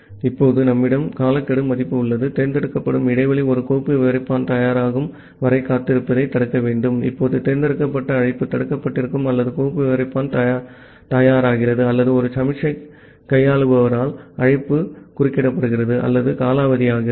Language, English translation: Tamil, Now we have a timeout value, the interval that select should block waiting for a file descriptor to become ready, now the select call remain block either the file descriptor becomes ready or the call is interrupted by a signal handler or a timeout expires